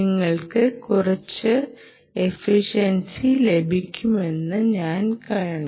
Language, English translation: Malayalam, you can see that you will get some efficiency